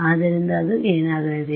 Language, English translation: Kannada, So, what is that going to be